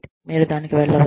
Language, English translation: Telugu, You can go to it